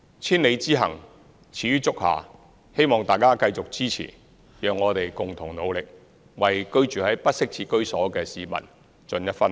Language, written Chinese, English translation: Cantonese, 千里之行，始於足下，希望大家繼續支持，讓我們共同努力，為居住在不適切居所的市民盡一分力。, As a thousand - mile journey must always begin with the first step I hope that Members can continue to give us support so that our concerted efforts can be contributed towards the benefits of the inadequately housed